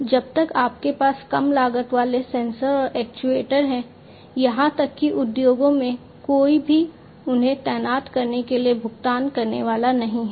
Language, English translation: Hindi, And because, lower until and unless you have low cost sensors and actuators even in the industries nobody is going to pay for them to deploy them